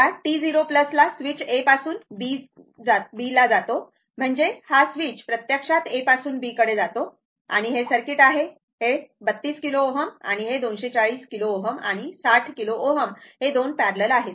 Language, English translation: Marathi, Now, at t 0 plus switch moves from A to B, that is your the switch actually moving from A to B and this is the circuit this 32 kilo ohm and 240 and 60 kilo ohm are in parallel right this 2 are in parallel